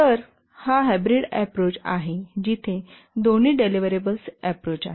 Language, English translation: Marathi, So, this is a hybrid approach where which is having both deliverable based